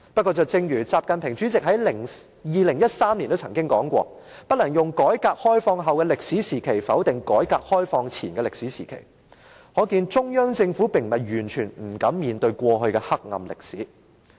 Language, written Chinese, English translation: Cantonese, 不過，習近平主席2013年說過："不能用改革開放後的歷史時期，否定改革開放前的歷史時期"，可見中央政府並非完全不敢面對過去的黑暗歷史。, Nevertheless President XI Jinping said in 2013 that we could not use the historical stage after reform and opening up to deny the historical stage before reform and opening up . This shows that the Central Government dared not totally face up to the dark history in the past